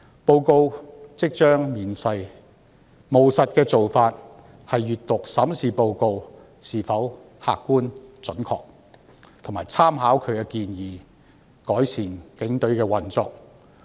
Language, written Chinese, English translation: Cantonese, 報告即將面世，務實的做法是閱讀及審視報告是否客觀、準確，並參考其建議，改善警隊的運作。, As the report will soon be published the pragmatic approach is to examine the report to see if it is objective and accurate and make reference to its recommendations to improve the operation of the Police Force